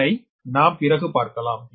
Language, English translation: Tamil, this we will see later